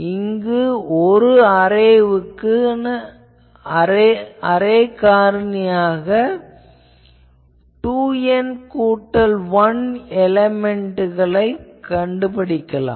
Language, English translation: Tamil, Now, first let us look at a line array with 2 N plus 1 elements